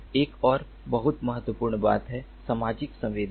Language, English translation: Hindi, another very important thing is social sensing